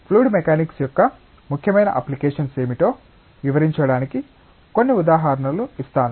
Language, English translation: Telugu, And let me give you some examples to illustrate, what are the important applications of fluid mechanics